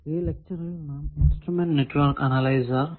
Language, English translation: Malayalam, In this lecture, we will see the instrument network analyzer